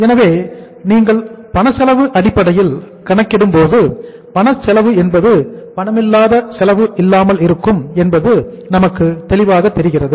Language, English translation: Tamil, So when you calculate on the cash cost basis so we are clear that cash cost is the cost which is without the non cash cost